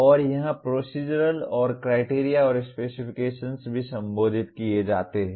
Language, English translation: Hindi, And here Procedural and Criteria and Specifications are also addressed